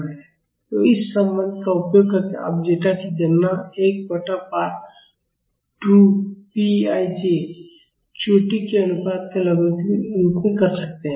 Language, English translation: Hindi, So, using this relation you can calculate zeta as 1 by 2 pi j logarithm of the ratio of the peaks